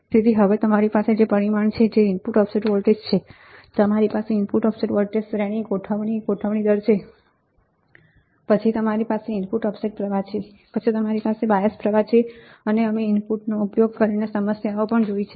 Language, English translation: Gujarati, So, now, you have parameter, which is input offset voltage, you have input offset voltage adjustment range, then you have input offset current, then you have input bias current, we have seen this right, we have also seen the problems using input offset current input bias current and input offset voltage right